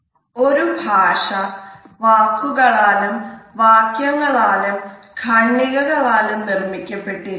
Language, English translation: Malayalam, A language is made up of words, sentences and paragraphs